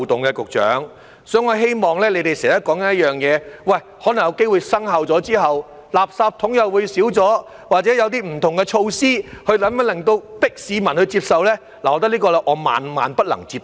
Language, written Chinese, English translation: Cantonese, 局長，所以我希望......你們經常說可能有機會在生效後，垃圾桶會減少，或者有些不同的措施強迫市民接受，但我認為這個萬萬不能接受。, Secretary so I hope You often say that the number of rubbish bins is likely be reduced after the Bill comes into effect or there will be other measures to compel the public to accept this . Yet I think this is totally unacceptable